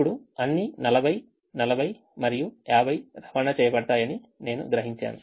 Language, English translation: Telugu, now i realize that all the forty, forty and fifty are transported